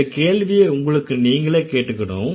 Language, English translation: Tamil, That's a question that you need to ask yourself